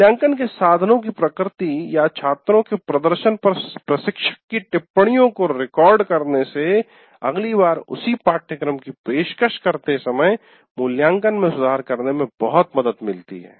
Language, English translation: Hindi, And by recording instructors observations on the nature of assessment instruments are students' performance greatly help in improving the assessment when the same course is offered next time